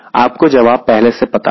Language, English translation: Hindi, ok, you know the answer already